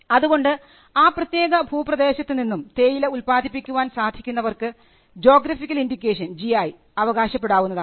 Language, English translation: Malayalam, So, the people who are able to manufacture from that particular region can claim a GI a geographical indication